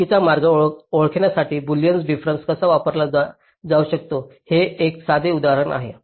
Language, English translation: Marathi, ok, this is a simple example how boolean difference can be used to identify a false path